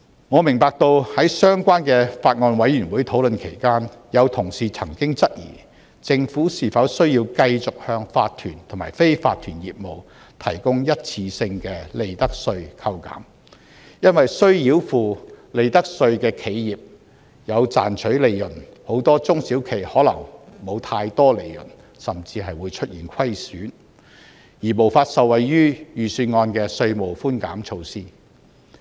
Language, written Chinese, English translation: Cantonese, 我明白到在相關的法案委員會討論期間，有同事曾經質疑，政府是否需要繼續向法團和非法團業務提供一次性的利得稅扣減，因為須繳付利得稅的企業有賺取利潤，很多中小企可能沒有太多利潤，甚至出現虧損，而無法受惠於預算案的稅務寬減措施。, I understand that during the discussion in the relevant Bills Committee some colleagues had queried whether or not it is necessary for the Government to continue to provide one - off reduction on profits tax for enterprises required to pay profits tax are actually making profits whereas many SMEs which are not making much in profit or even suffering losses will not be able to benefit from the tax reduction measures proposed in the Budget